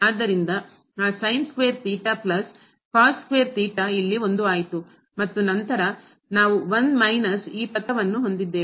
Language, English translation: Kannada, So, that sin square theta plus cos square theta became 1 here, and then we have this 1 minus this term